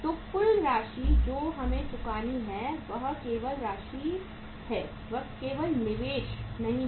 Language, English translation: Hindi, So total amount which we have to lent out is not the investment only